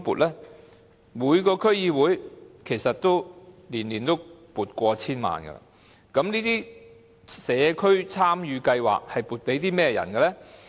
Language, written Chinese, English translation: Cantonese, 其實每個區議會每年都會撥款超過 1,000 萬元，但這些社區參與計劃是撥款予甚麼人的呢？, As a matter of fact the amount of funds allocated by each DC each year exceeded 10 million but to whom the funds for these community involvement projects were granted?